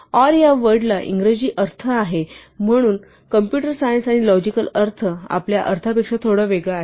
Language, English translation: Marathi, “Or” again has an English meaning, but the meaning in computer science and logic is slightly different from what we mean